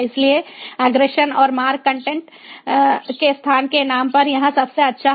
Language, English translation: Hindi, so forwarding and routing is best here on name of the content, not the location of the content